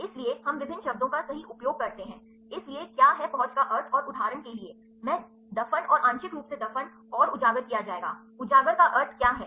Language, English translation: Hindi, So, we use various terms right so, what is the meaning of accessibility and for example, I will put the buried and partially buried and exposed, what is the meaning of exposed